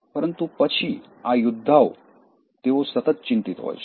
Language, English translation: Gujarati, But then, these worriers, they are constant worriers